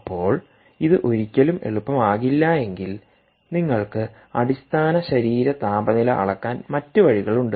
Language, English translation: Malayalam, so if this is never going to be easy, there are other ways by which you can actually measure, ah, measure core body temperature